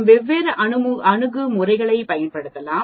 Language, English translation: Tamil, We can use different approaches